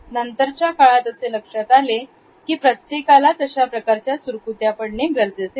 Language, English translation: Marathi, Later on, however, it was found that it is not necessary that everybody has the similar type of wrinkles